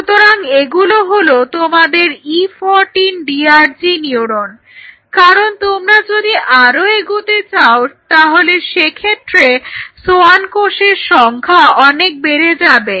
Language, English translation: Bengali, So, and these are your DRG neurons which are there at E 14 because if you go further that the population of the Schwann cells are going to go up